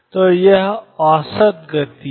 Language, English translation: Hindi, So, this is average momentum